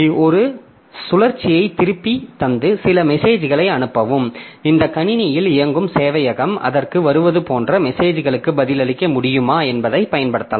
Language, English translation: Tamil, , it can be used to give a loop back and send some message to itself and see whether the server that is running on this system can respond to the messages coming like, coming to it